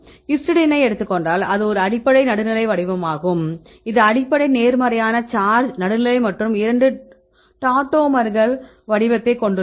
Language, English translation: Tamil, Then if you take the histidine right it is a base right and is a neutral form it has the either the base right a positive charge and neutral form there is two tautomers right